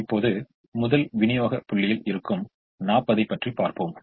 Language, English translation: Tamil, now let us look at the first supply point of forty